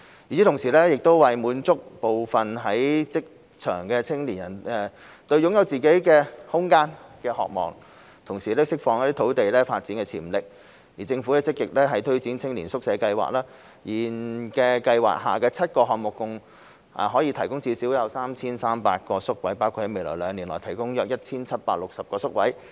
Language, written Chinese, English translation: Cantonese, 與此同時，為滿足部分在職青年對擁有自己空間的渴望，同時釋放土地發展潛力，政府積極推展青年宿舍計劃，現時計劃下的7個項目合共可提供至少 3,300 個宿位，包括在未來兩年內提供約 1,760 個宿位。, Meanwhile to meet the aspirations of some working youth to have their own living spaces and to unleash the potential of development sites the Government actively promotes the Youth Hostel Scheme . The seven projects currently under the Scheme can provide a total of at least 3 300 hostel places including about 1 760 places in the next two years